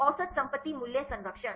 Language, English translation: Hindi, Average property values conservation